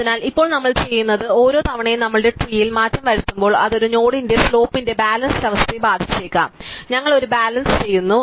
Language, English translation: Malayalam, So, now what we do is every time we make a change in our tree which could affect the balance of the slope of a node, we do a balance